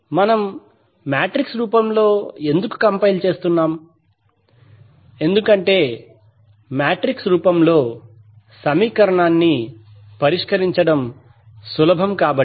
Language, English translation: Telugu, Why we are compiling in metrics form because solving equation in matrix form is easier